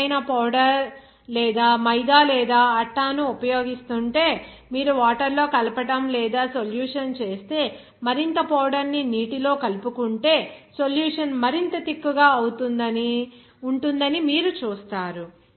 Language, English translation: Telugu, If any powder like we are using that maida or atta or suppose some other powder if you mix in water or make a solution, you will see that if you add more powder in the water, you will see that the solution will be more thicker and thicker